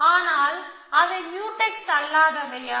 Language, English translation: Tamil, But, are they non Mutex